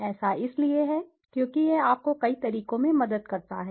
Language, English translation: Hindi, is because it helps you in several ways, several ways